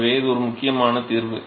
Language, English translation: Tamil, So, that is an important result